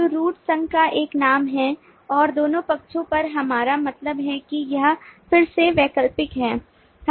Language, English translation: Hindi, the root is a name of the association and on the two sides we mean this is again optional